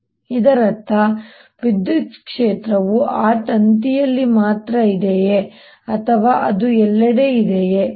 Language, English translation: Kannada, does it mean that electric field is only in that wire or does it exist everywhere